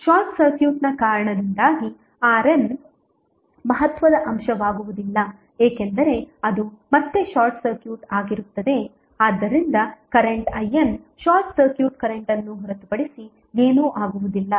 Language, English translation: Kannada, Because of the short circuit the R N will not be a significant component because it will again be short circuited so if current I N would be nothing but the short circuit current